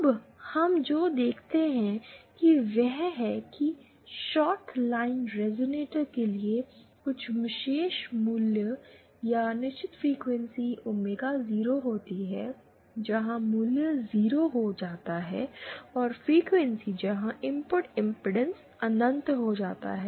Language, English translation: Hindi, Now, what we see is that for the shorted line resonator there are some particular values or certain frequencies omega 0 where the value becomes 0 and certain frequencies say here where the input impedance becomes infinite